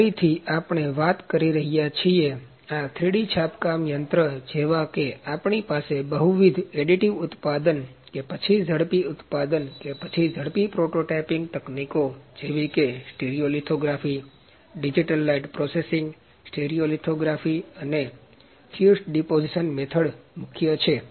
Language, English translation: Gujarati, Again we are talking about, this is 3D printing machine like we have multiple additive manufacturing or rapid manufacturing or rapid prototyping technologies like steel lithography, digital light processing, stereo lithography and fused deposition method are the major ones